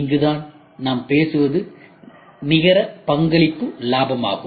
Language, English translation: Tamil, This is where we talk about is the net contribution profit, ok